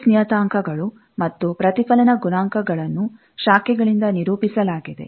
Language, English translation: Kannada, The S parameters and reflection coefficients are represented by branches